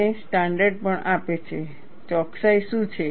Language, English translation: Gujarati, And the standard also gives, what is the accuracy